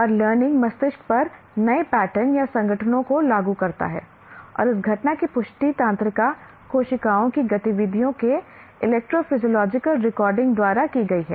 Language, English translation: Hindi, And learning imposes new patterns or organizations on the brain and this phenomenon has been confirmed by electrophysiological recordings of the activity of nerve cells